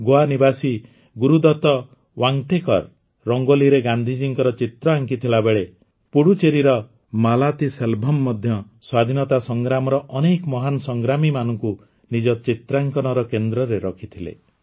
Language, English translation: Odia, Gurudutt Vantekar, a resident of Goa, made a Rangoli on Gandhiji, while Malathiselvam ji of Puducherry also focused on many great freedom fighters